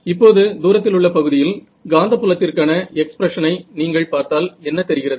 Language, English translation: Tamil, Now, if you look at the expression for the magnetic field in the far zone, over here what do you see